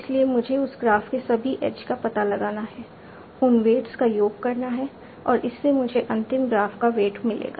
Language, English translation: Hindi, So, I find out all the edges of that graph sum over the weights and that will give me the weight of the final graph